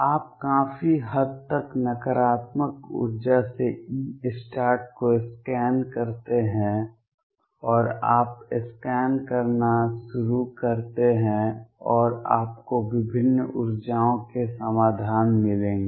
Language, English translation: Hindi, You scan over E start from a very largely negative energy and you start scanning and you will find solutions for different energies